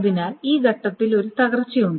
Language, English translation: Malayalam, So there is a crash at this point